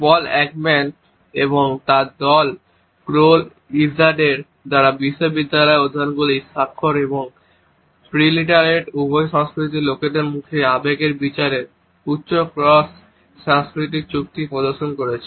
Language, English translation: Bengali, University studies by Paul Ekman and his team and also by Crroll Izard have demonstrated high cross cultural agreement in judgments of emotions in faces by people in both literate and preliterate cultures